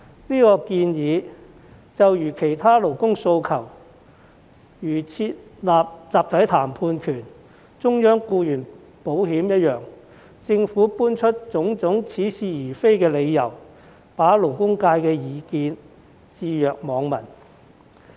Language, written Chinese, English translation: Cantonese, 這項建議就如設立集體談判權和中央僱員保險等其他勞工訴求一樣，政府搬出種種似是而非的理由，對勞工界的意見置若罔聞。, Similar to other labour demands such as the right to collective bargaining and centralized employee insurance the views expressed by the labour sector have been ignored by the Government for various specious reasons